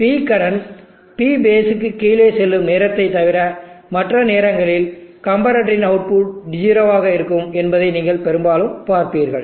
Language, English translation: Tamil, So you will see most of the time that it will be 0 except when P current goes below P base, when it goes below P base then this comparator output becomes high